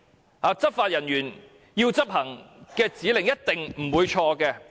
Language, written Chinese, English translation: Cantonese, 內地執法人員要市民執行的指令是否一定不會錯？, Are the orders given by Mainland law enforcement agents to Hong Kong residents always correct?